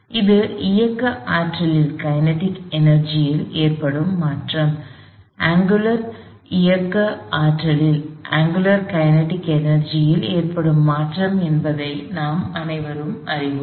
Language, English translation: Tamil, And we all recognize that this is the change in the kinetic energy, change in angular kinetic energy